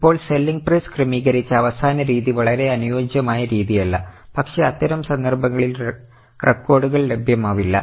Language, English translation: Malayalam, Now the last method that is adjusted selling price is not very suitable method but if the records are not available in such cases this method is used